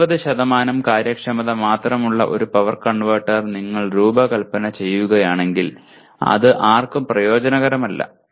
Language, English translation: Malayalam, If you design one power converter that has only 70% efficiency it is of absolutely no use to anybody